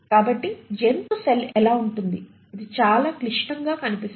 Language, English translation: Telugu, So this is how the animal cell look like, so though it looks fairly complex